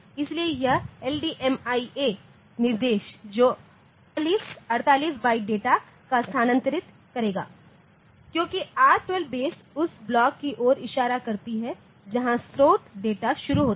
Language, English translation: Hindi, So, this instruction this LDMIA, it will transfer 48 bytes of data because R12 base pointing to the block where the source data starts